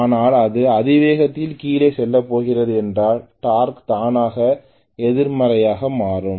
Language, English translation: Tamil, But if it is going to go down at high speed I am going to see right away that the torque automatically becomes negative